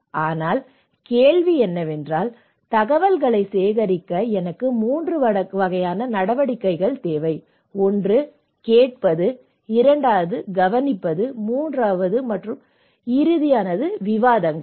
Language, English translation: Tamil, So, but the question is; I need 3 kind of things, activities to be involved to collect information; one is hearing, observation and discussions